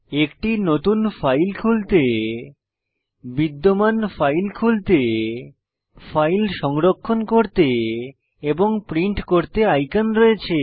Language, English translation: Bengali, There are icons to open a New file, Open existing file, Save a file and Print a file